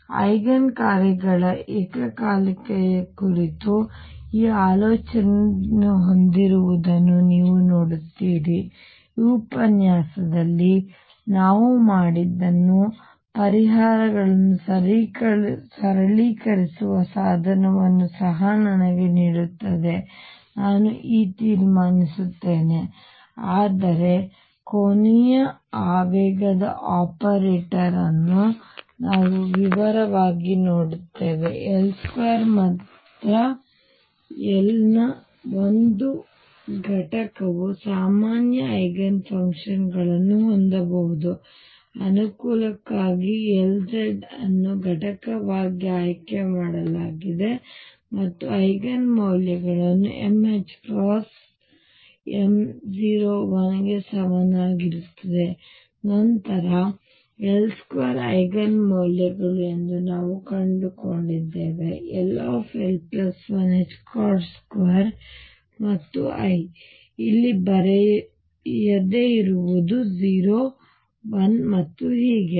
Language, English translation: Kannada, So, you see this having a thought about simultaneity of the Eigen functions also gives me a tool to simplify my solutions what we have done in this lecture, I will just conclude now That will look that angular momentum operator in detail we found that only L square and one component of L can have common Eigenfunctions, we have also found that for convenience L z is chosen to be the component and Eigen values come out to be m h cross m equals 0 plus minus 1 and so on then we also found that L square Eigen values are l, l plus 1 h cross square and I; what I did not write there is l is 0 1 and so on